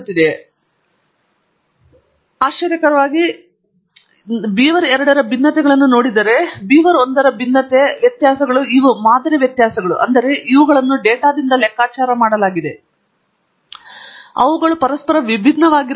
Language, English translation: Kannada, Now, it doesnÕt look exactly like a Gaussian; I am not even so close, but what we can see strikingly is that the variability; if I look at the variance of beaver2 verses variance of beaver1, the variabilities these are sample variabilities; that is, these have been computed from data they are quite different from each other